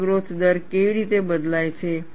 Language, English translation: Gujarati, How does the crack growth rate changes